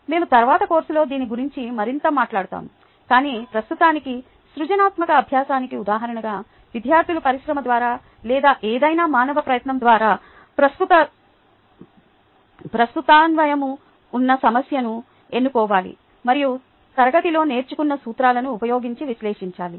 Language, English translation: Telugu, we will talk more about this later in the course, but for now, as an example of a creative exercise, students need to choose a problem of relevance through the industry or any human endeavor and analyze it using the principles learnt in class